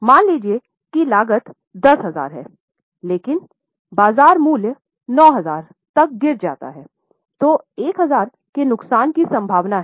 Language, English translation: Hindi, However, suppose the cost is 10 but market value falls to 9,000, then there is a possibility of loss of 1,000